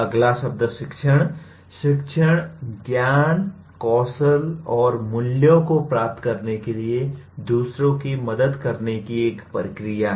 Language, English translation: Hindi, Now teaching is a process of helping others to acquire whatever identified knowledge, skills and values